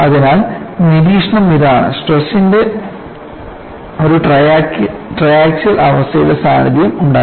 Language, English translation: Malayalam, So, the observation is there was presence of a triaxial state of stress